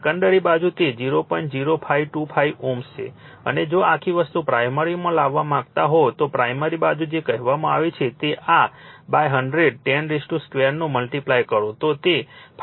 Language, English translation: Gujarati, 0525 ohm and if you want to bring whole thing to the your what you call yourto the your primary your what you call primary side, if you multiply this by 100, 10 square it will be 5